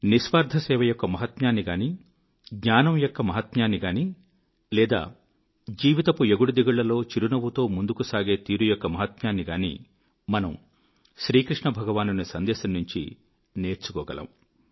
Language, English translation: Telugu, The importance of selfless service, the importance of knowledge, or be it marching ahead smilingly, amidst the trials and tribulations of life, we can learn all these from Lord Krishna's life's message